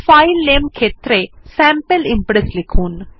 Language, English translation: Bengali, In the filename field type Sample Impress